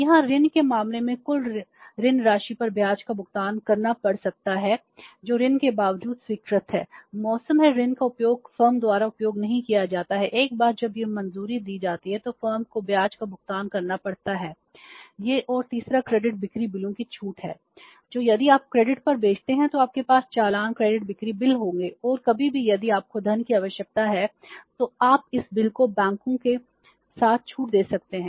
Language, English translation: Hindi, Here in case of the loan you have to pay the interest on the total loan amount which is sanctioned irrespective of the fact the loan is whether the loan is utilizedised by the firm or not utilised by the firm once it is sanctioned the firm has to pay the interest on that and third is the discounting of the credit sale bills that if you sell on credit you will have invoices credit sale bills and any time if you need funds you can discount these bills with the banks and raise the finance for the temporary requirements for the short while and as in when you get the funds you can return the funds back to the bank and get your invoices back